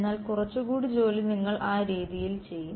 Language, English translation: Malayalam, But its a little bit more work you will do that way